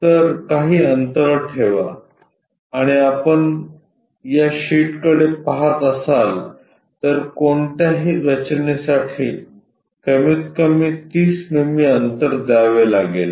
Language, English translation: Marathi, So, leave some gap and if you are looking at this sheet minimum 30 mm gap has to be given for any construction